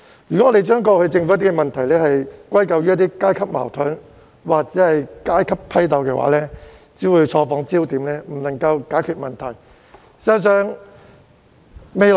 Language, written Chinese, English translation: Cantonese, 如果大家將政府過去的問題歸咎於階級矛盾或階級批鬥，只是錯放焦點，無法解決問題的。, If we ascribe the Governments past problems to class conflicts or class struggles we are unable to solve the problems because the focus has simply been misplaced